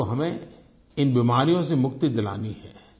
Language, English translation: Hindi, We have to eradicate these diseases from India